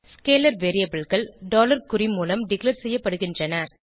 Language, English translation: Tamil, Scalar variables are declared using $ symbol